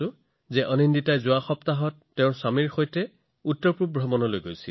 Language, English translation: Assamese, Anandita had gone to the North East with her husband last week